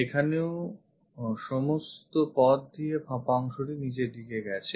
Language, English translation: Bengali, Here also this is hollow portion all the way to the down